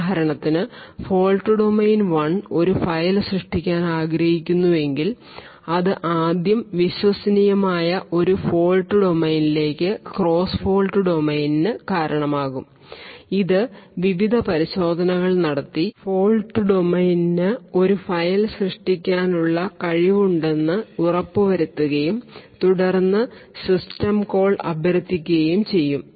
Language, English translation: Malayalam, So this particular fault domain would ensure and check whether all system calls are valid so for example if fault domain one wants to create a file it would first result in a cross fault domain to this trusted a fault domain which makes various checks ensures that fault domain has the capability of creating a file and then invokes the system call that would result in the operating system creating a value